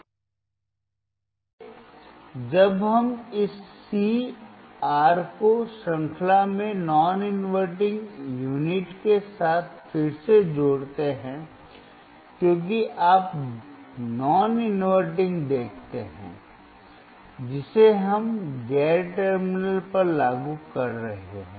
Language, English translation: Hindi, So, when we connect this C, the R in series with the non inverting unit again, because you see non inverting we are applying to non terminal